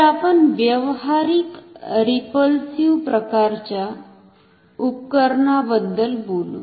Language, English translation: Marathi, So, we will talk about a practical repulsion type instrument